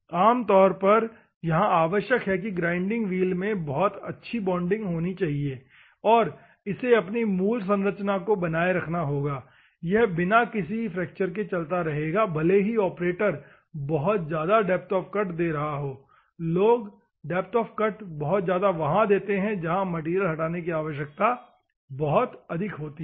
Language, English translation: Hindi, Normally, it requires the grinding wheel should have very high bonding, and it should retain its original structure it would remain without any fracture even though the operators giving a very high depth of cuts, people are going to give the depth of cuts whenever the material removal requirement is very high, ok